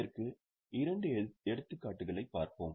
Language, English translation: Tamil, We had seen two examples of this